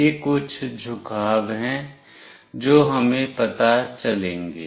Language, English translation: Hindi, These are the few orientations that we will find out